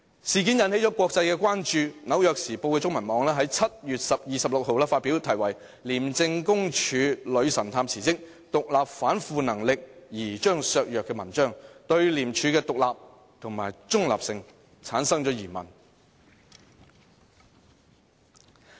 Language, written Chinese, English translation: Cantonese, 事件並引起國際關注，《紐約時報》中文網在7月26日發表題為"廉政公署女神探辭職，獨立反腐能力疑將削弱"的文章，對廉署的獨立和中立性提出疑問。, On 26 July The New York Times Chinese carried an article entitled Hong Kong Graft Busters Exit Stirs Fears Over Agencys Independence querying the independence and neutrality of ICAC